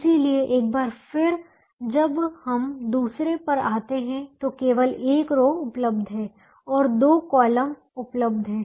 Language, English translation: Hindi, so once again, when we came to the other one, there is only one row that is available and other there are two columns that are available